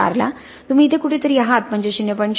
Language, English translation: Marathi, 4 you are somewhere here that is 0